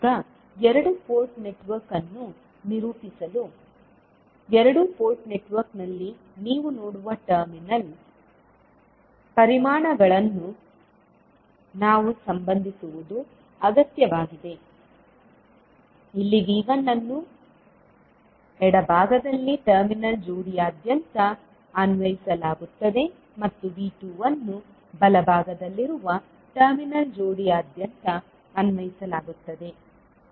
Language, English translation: Kannada, Now, to characterize the two port network, it is required that we relate the terminal quantities that is V1, V2, I1, I2 which you see in the two port network, here V1 is applied across terminal pair on the left side, and V2 is applied across the terminal pair on the right side I1 flows from port 1, and I2 flows from port 2